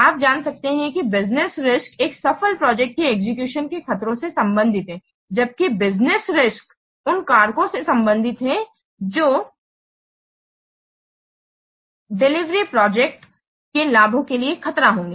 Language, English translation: Hindi, We know that the business risks, they are related to the threats to completion to successful project execution, whereas business risks are related to the factors which will threat the benefits of the delivered project